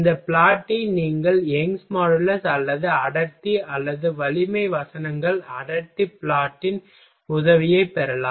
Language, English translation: Tamil, You can you can take help of this plot either Young’s modulus or density or strength verses density plot